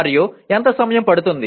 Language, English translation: Telugu, And how much time it is likely to take